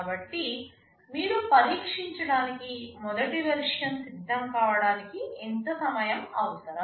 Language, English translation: Telugu, How much time is required to have the first version ready so that you can test